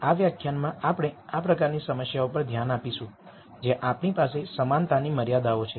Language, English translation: Gujarati, In this lecture we will look at problems of this type where we have what are called equality constraints